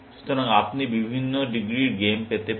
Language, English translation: Bengali, So, you can have different degrees of games